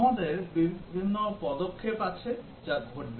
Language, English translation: Bengali, We have different action that would take place